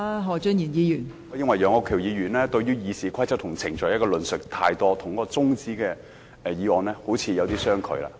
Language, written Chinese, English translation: Cantonese, 我認為楊岳橋議員對於《議事規則》和程序的論述太多，與中止待續議案好像有點相距。, I think Mr Alvin YEUNGs discussion on the Rules of Procedure and procedural matters is probably getting too long . His discussion is not quite so related to the adjournment motion